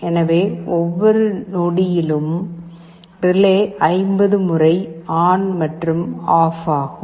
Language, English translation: Tamil, So, in every second the relay will be switching ON and OFF 50 times